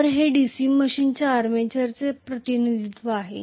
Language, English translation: Marathi, So, this is the representation of the armature of a DC machine